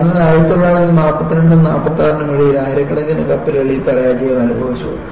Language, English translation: Malayalam, So, between 1942 and 46, thousands suffered